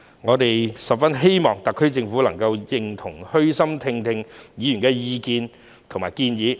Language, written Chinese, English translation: Cantonese, 我們十分希望特區政府能夠認同及虛心聆聽議員的意見和建議。, We very much hope that the SAR Government can approve and listen humbly to the views and suggestions of Members